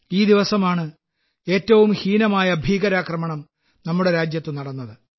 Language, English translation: Malayalam, It was on this very day that the country had come under the most dastardly terror attack